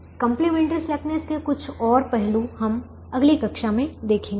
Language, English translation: Hindi, some more aspects of complementary slackness we will see in the next class